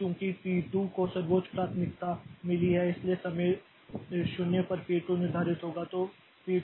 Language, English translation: Hindi, Now, since P2 has got the highest priority, so at time 0, P2 is scheduled